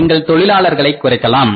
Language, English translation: Tamil, You have to reduce your human resources